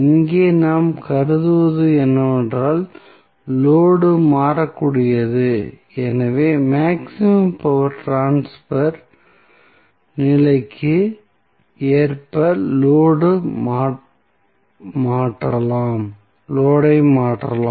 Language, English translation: Tamil, So, what we are assuming here is that the load is variable, so, that we can tune the load in accordance with the maximum power transfer condition